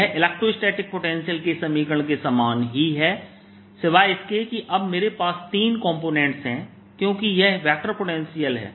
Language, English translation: Hindi, that's the equation for vector potential, very similar to the equation for electrostatic potential, except that now i have three components, because this is the vector potential